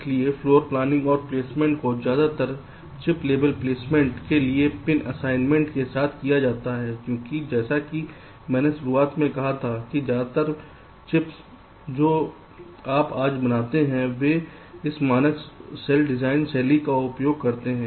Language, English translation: Hindi, so floor planning and placement are carried out with pin assignment for most of the chip level placement because, as i said in the beginning, most of the chips that you manufacture